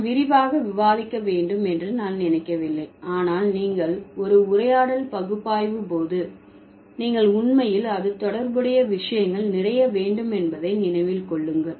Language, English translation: Tamil, I don't think I would discuss in detail but you remember when you analyze a conversation you actually have a lot of related things associated with it